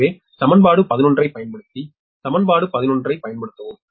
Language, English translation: Tamil, so use eq, equation eleven, use equation eleven